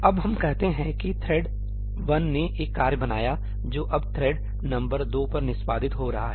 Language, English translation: Hindi, Now let us say that thread 1 created a task which is now finally getting executed on thread number 2